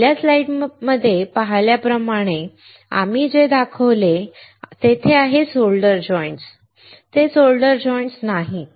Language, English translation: Marathi, As you see in the first slide; what we have shown there have no solder joints